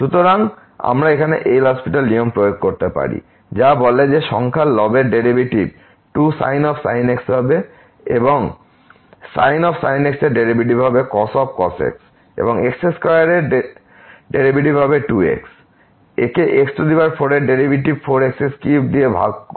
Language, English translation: Bengali, So, we can apply the L’Hospital rule here which says that the derivative of the numerator will be 2 time and the derivative of will be and minus the derivative of square will be divided by the derivative of power which is four power 3 and the limit goes to 0